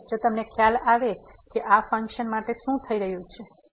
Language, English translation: Gujarati, So now, if you realize what is happening to this function now here